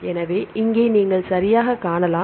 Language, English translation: Tamil, So, here you can see right